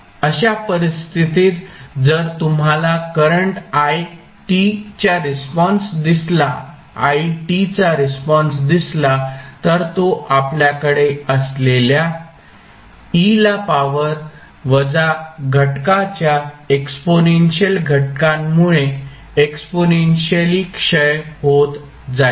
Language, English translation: Marathi, In that case if you see the response for current it would be exponentially decaying because of the exponential factor of e to power minus factor which you have